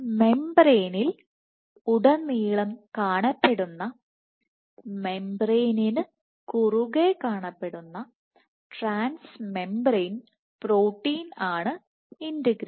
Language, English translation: Malayalam, So, integrin is the one which is present transmembrane, which is present across the membrane